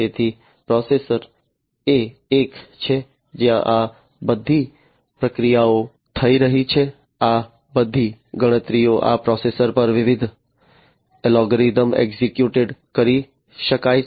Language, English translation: Gujarati, So, processor is the one, where all this processing are taking place all these computations different algorithms can be executed at this processor